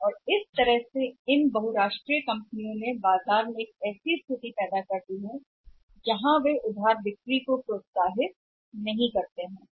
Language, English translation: Hindi, And in a way these MNC have created a say situation in the market where they do not encourage the credit sales